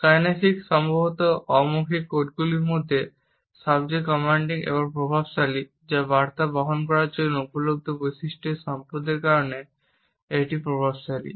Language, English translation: Bengali, Kinesics is perhaps the most commanding and influential of the nonverbal codes it is influential because of the wealth of features which are available for bearing messages